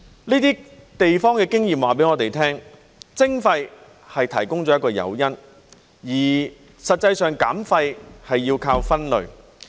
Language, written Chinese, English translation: Cantonese, 這些地方的經驗告訴我們，徵費提供了一個誘因，而實際上減廢是要靠分類。, From the experiences of these places waste charging provides an incentive and it actually relies on waste separation to achieve waste reduction